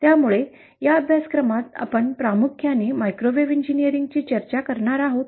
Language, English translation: Marathi, So in this course, we will be discussing primarily microwave engineering